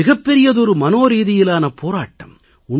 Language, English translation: Tamil, It is a huge psychological battle